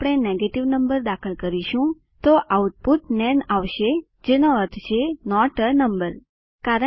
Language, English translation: Gujarati, If we enter negative number, output is nan it means not a number